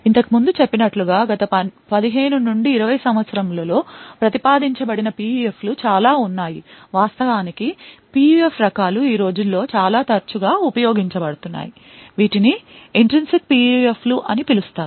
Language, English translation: Telugu, As mentioned before So, there are lots of PUFs which have been proposed in the last 15 to 20 years, types of PUFs which are actually been used quite often these days something known as Intrinsic PUFs